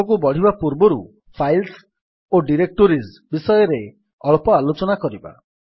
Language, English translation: Odia, Before moving ahead let us discuss a little bit about files and directories